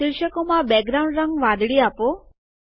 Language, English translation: Gujarati, Give the background color to the headings as blue